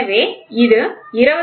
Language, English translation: Tamil, So, which is 25